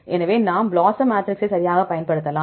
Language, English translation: Tamil, So, we can use the BLOSUM matrix right